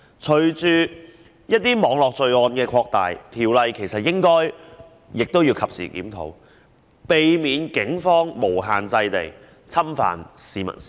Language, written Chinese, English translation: Cantonese, 隨着一些網絡罪案的擴大，條例應該及時檢討，防止警方無限制地侵犯市民私隱。, Following the spread of some network crimes the Ordinance should be reviewed in a timely manner so as to prevent the Police from infringing upon peoples privacy without restraint